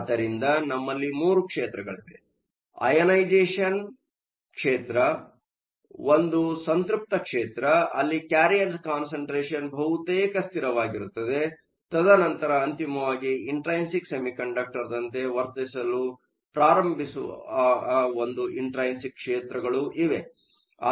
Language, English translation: Kannada, So, we have three regimes an ionization regime; a saturation regime, where the carrier concentration is almost a constant; and then finally, an intrinsic regime where the material starts to behave like an intrinsic semiconductor